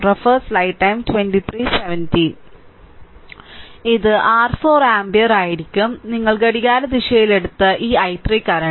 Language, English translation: Malayalam, So, this will be your 4 ampere right and this i 3 current clockwise we have taken